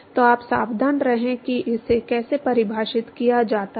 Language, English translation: Hindi, So, you have be careful how it is defined